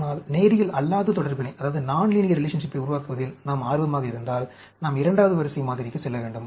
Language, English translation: Tamil, But, if we are interested in developing nonlinear relationship, then, we need to go for second order model